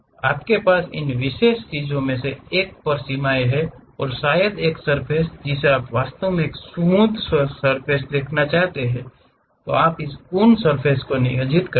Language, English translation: Hindi, You have boundary conditions on one of these particular things and maybe a surface you would like to really represent a smooth surface, then you employ this Coons surface